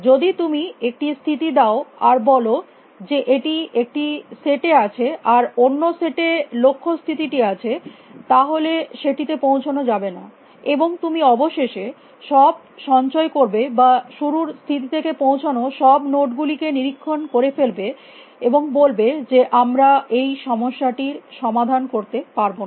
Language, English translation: Bengali, If you gave the state say it in one set, and the goal state in the other state then it would not be reachable, and you would end up storing all inspecting all the nodes reachable from the start state and say that we know we cannot solve that problem